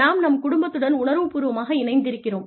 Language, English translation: Tamil, Because, i am emotionally attached to my family